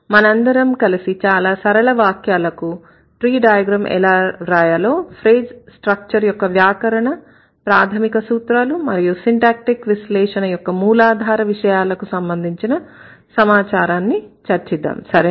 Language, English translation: Telugu, So, today we are going to discuss how to draw tree diagrams of very simple sentences and a bit of information about the phrase structure grammar or the phrase structure rules which are the most basic or the most rudimentary things related to syntactic analysis